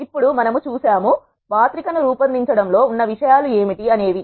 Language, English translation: Telugu, Now, we have seen; what are the things that are involved in creating a matrix